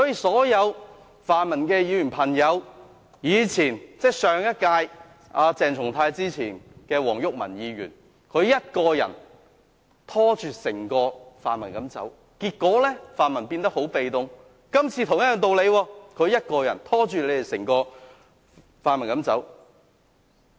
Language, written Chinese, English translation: Cantonese, 所有泛民的朋友，從前是上一屆的前議員黃毓民一個人拖着整個泛民走，結果泛民變得很被動，今次是同樣的道理，鄭松泰議員一個人拖着整個泛民走。, All friends of the pan - democratic camp in the past former Member WONG Yuk - man dragged the entire pan - democratic camp along and the pan - democrats became very passive as a result . The same applies this time around for Dr CHENG Chung - tai is dragging the entire pan - democratic camp along